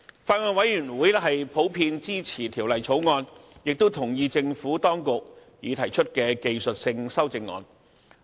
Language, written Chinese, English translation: Cantonese, 法案委員會普遍支持《條例草案》，亦同意政府當局已提出的技術性修正案。, The Bills Committee generally supports the Bill and it also agrees to the technical amendments proposed by the Administration